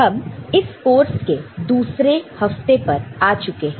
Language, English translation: Hindi, Hello everybody, we enter week 2 of this course